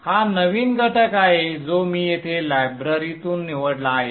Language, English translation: Marathi, So this is the new component which I have picked from the library here